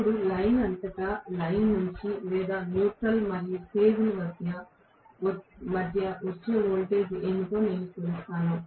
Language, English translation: Telugu, Now, I will measure what is the voltage that comes out either across line to line or across or between the neutral and the phase